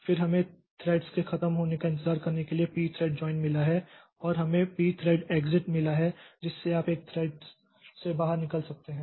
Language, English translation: Hindi, We have got p thread join for waiting for the threads to be over and we have got p thread exit by which you can exit from a thread